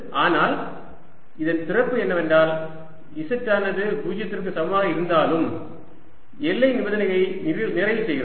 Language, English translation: Tamil, the beauty is that even at z equal to zero, the boundary condition is satisfies